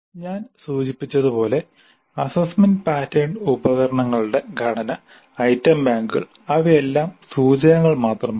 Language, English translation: Malayalam, And the structure of assessment patterns and instruments, item banks, they are all indicative as I mentioned